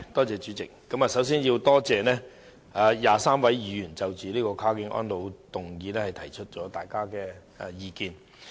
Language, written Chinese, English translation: Cantonese, 主席，我首先要感謝23位議員就"跨境安老"這項議案提出意見。, President I must first thank the 23 Members for their views on this motion entitled Cross - boundary elderly care